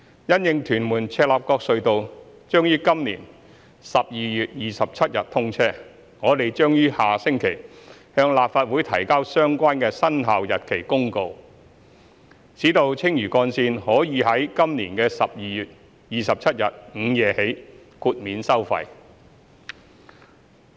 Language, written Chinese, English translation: Cantonese, 因應屯門―赤鱲角隧道將於今年12月27日通車，我們將於下星期向立法會提交相關的生效日期公告，使青嶼幹線可於今年12月27日午夜起豁免收費。, In view of the commissioning of TM - CLKT on 27 December this year we will submit the relevant commencement notice to the Legislative Council next week so that toll waiver of the Lantau Link will commence at midnight of 27 December this year